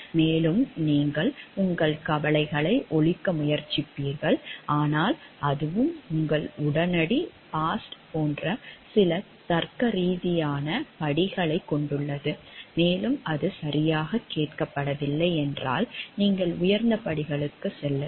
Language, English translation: Tamil, And you will voice try to sound your concerns, but that also has some logical steps like to your immediate boss first, then if that is not heard properly, then you move on to the higher steps